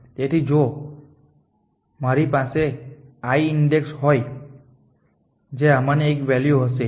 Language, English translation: Gujarati, So, you if i is a index which is one of the value